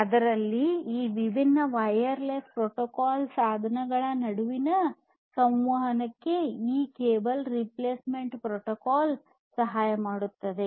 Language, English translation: Kannada, So, this cable replacement protocol we will help for communicating between these different wireless you know portable devices and so on